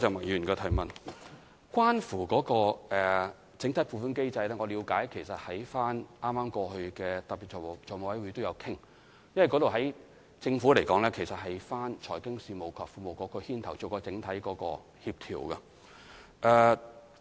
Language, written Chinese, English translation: Cantonese, 有關整體撥款機制，我了解到在剛過去的特別財務委員會上，我們也曾討論此事，而在政府架構中，這是由財經事務及庫務局牽頭負責整體協調的。, In respect of the block allocations mechanism I understand that we have discussed it at the latest meeting of Special Finance Committee and in the government structure overall coordination is led by the Financial Services and the Treasury Bureau